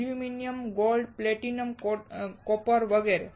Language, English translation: Gujarati, Aluminum, Gold, Platinum, Copper etc